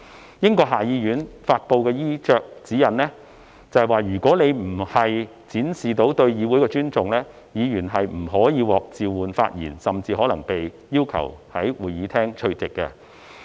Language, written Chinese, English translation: Cantonese, 根據英國下議院發布的衣着指引，如果議員的衣着未能展現對議會的尊重，議員不可獲召喚發言，甚至可能被要求從會議廳退席。, According to the dress code issued by the House of Commons of the United Kingdom Members who fail to dress in a way that shows respect to the House will not be called to speak or even be asked to withdraw from the Chamber